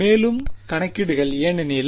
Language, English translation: Tamil, More computations because